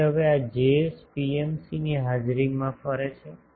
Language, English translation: Gujarati, So now these Js radiates in presence of an PMC